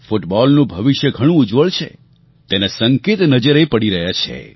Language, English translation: Gujarati, The signs that the future of football is very bright have started to appear